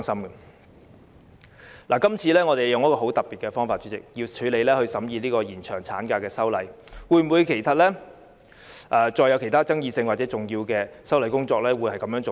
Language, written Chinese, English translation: Cantonese, 主席，我們今次用了很特別的方法審議延長產假的修例工作，其他具爭議性或重要的修例工作會否這樣做呢？, President this is an unusual way to scrutinize the legislative amendment on extending the maternity leave . Will other controversial or important legislative amendments be handled this way?